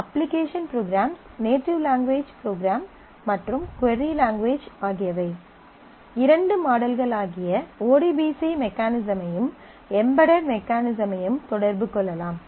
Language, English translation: Tamil, The two models in which the application program the native language program and the query language can interact the ODBC mechanism and the Embedded mechanism